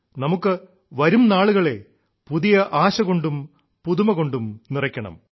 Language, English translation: Malayalam, We have to infuse times to come with new hope and novelty